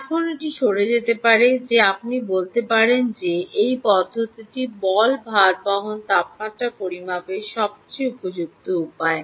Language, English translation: Bengali, now it might turn out that you may say: why is this method the most appropriate way to measure the temperature of the ball bearing